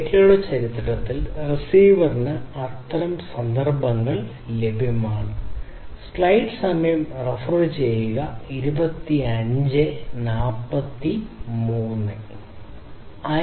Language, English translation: Malayalam, So, in the history of the data how many such instances are available to the receiver